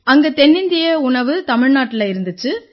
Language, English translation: Tamil, South Indian cuisine is prevalent in Tamilnadu